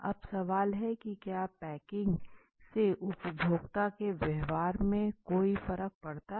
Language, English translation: Hindi, Now the question is, is it like is packaging does packing have am effect on the consumer behavior